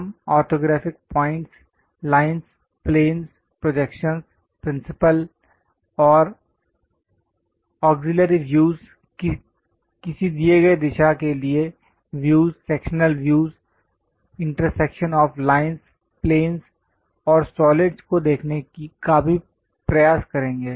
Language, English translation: Hindi, And also we will try to look at orthographic points, lines, planes, projections, principle and auxiliary views, views in a given direction, sectional views, intersection of lines, planes and solids